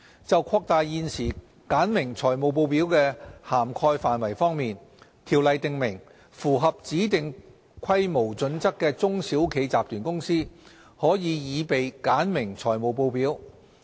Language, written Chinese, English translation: Cantonese, 就擴大現時簡明財務報表的涵蓋範圍方面，《條例》訂明，符合指定規模準則的中小企集團公司，可擬備簡明財務報表。, In respect of expanding the scope of the current regime for simplified reporting the new CO allows for simplified reporting to group companies of SMEs which meet specified size criteria